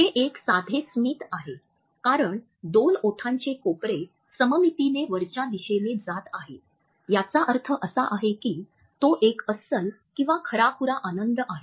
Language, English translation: Marathi, It is a simple smile and because the two lip corners go upwards symmetrically, it means that it is a genuine happiness